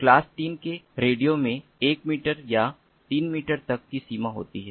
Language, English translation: Hindi, class three radios have a range of up to one meter or three meters